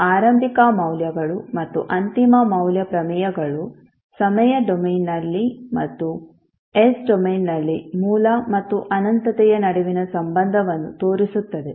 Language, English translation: Kannada, Now initial values and final value theorems shows the relationship between origin and the infinity in the time domain as well as in the s domain